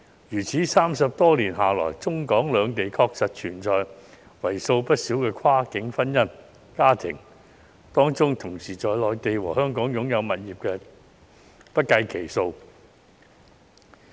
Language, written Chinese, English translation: Cantonese, 如此 ，30 多年下來，中、港兩地確實存在許多跨境婚姻的家庭，當中同時在內地和香港擁有物業的不計其數。, This being the case there are indeed many cross - boundary marriages between Hong Kong and the Mainland after some 30 years and a lot of them own properties in both the Mainland and Hong Kong